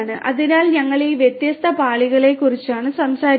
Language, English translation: Malayalam, So, you know we were talking about all these different layers